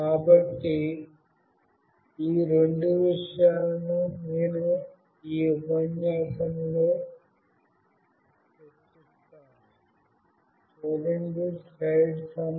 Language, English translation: Telugu, So, I will be discussing these two things in this lecture